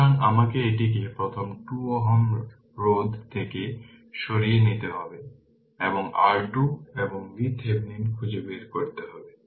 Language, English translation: Bengali, So, we have to take it off first 2 ohm resistance right and you have to find out R Thevenin and V Thevenin